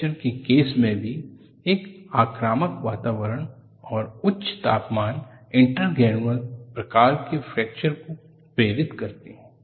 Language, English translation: Hindi, In the case of fracture also, aggressive environment and high temperatures induces intergranular type of fracture